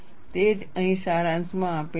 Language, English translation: Gujarati, That is what is summarized here